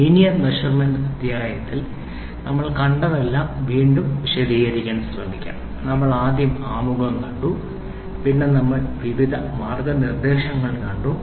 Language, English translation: Malayalam, So, to recapitulate what all did we see in the linear measurement chapter first we saw the introduction, then, we saw various guidelines